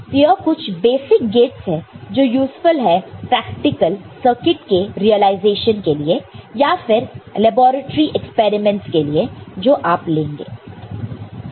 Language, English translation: Hindi, So, these are some basic gates which are useful in realization impractical circuits or in your laboratory experiments which you will be undertaking